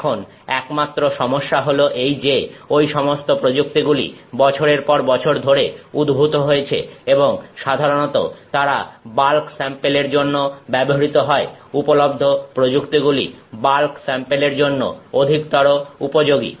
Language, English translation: Bengali, The only issue is that those techniques have evolved over the years and they have typically been used for bulk samples, techniques available, more readily suited for bulk samples